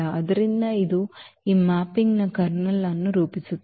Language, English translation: Kannada, So, this will form the kernel of this mapping